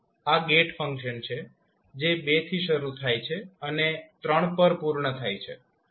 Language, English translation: Gujarati, This is a gate function which starts from two and completes at three